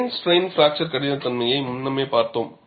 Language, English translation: Tamil, We have seen the plane strain fracture toughness earlier